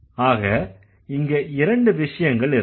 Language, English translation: Tamil, So, there are two things